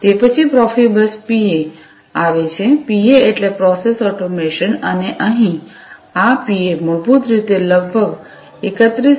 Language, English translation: Gujarati, Then, comes the Profibus PA; PA stands for Process Automation and here this PA basically supports a speed of about 31